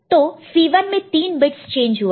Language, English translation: Hindi, So, C 1 three have just changed